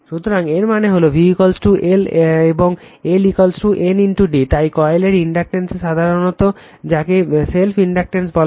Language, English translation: Bengali, So, that means, v is equal to L and L is equal to N into d phi, so inductance of the coil commonly called as self inductance